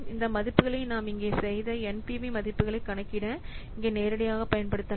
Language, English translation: Tamil, So these values you can use directly here to compute the NPV values that we have done here